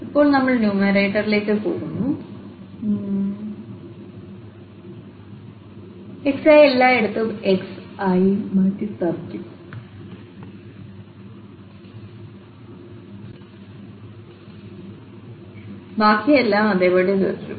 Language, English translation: Malayalam, And now we go to the numerator this xi will be just replaced by x everywhere and the rest everything will remain the same